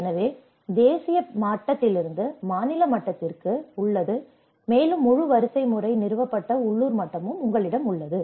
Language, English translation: Tamil, So, there is from nation level to the state level, and you have the local level that whole hierarchy has been established